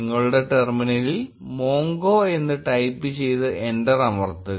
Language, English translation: Malayalam, Type mongo in your terminal and press enter